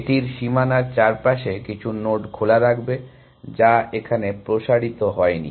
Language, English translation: Bengali, It would have some nodes open just around the boundary, which it has not expanded